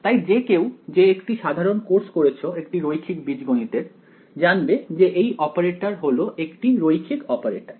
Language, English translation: Bengali, So, anyone who has taken a basic course in linear algebra knows that the operator is a linear operator